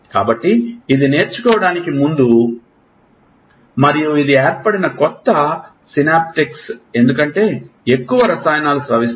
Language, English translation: Telugu, So, this is before learning and this is the new synaptics that are formed because, the more chemicals are secreted